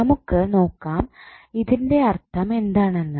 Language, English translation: Malayalam, Let us see what does it mean